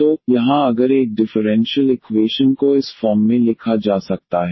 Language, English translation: Hindi, So, here if a differential equation can be written in this form